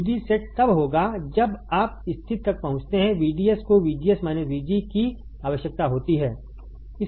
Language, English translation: Hindi, VD set will occur when you reach condition VDS requires to VGS minus VG